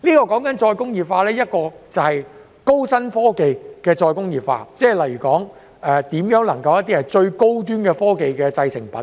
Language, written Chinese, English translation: Cantonese, 我所說的是高新科技的再工業化，例如如何能夠生產最高端科技的製成品。, What I am talking about is high - technology re - industrialization eg . producing the most high - end technology products